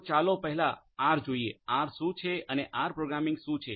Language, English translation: Gujarati, So, let us first look at R, what is R and the R programming